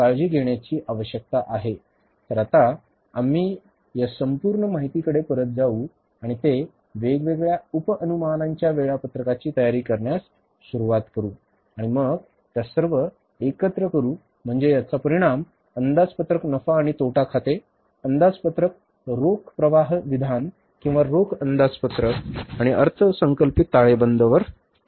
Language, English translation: Marathi, So now we will go back to this entire information and just start preparing about the different budget subestimates schedules and then we will club them together and then the result will be the budgeted profit and loss account, budgeted cash flow statement or the cash budget and the budgeted balance sheet